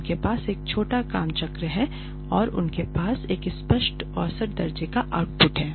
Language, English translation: Hindi, They have a shorter job cycle and they have a clear measurable output